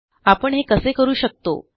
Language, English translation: Marathi, And, how do we do this